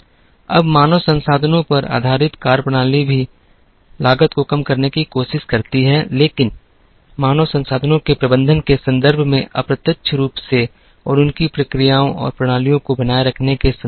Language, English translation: Hindi, Now, methodologies based on human resources also try and reduce the cost, but slightly indirectly in terms of managing the human resources very well and in terms of keeping their processes and systems in place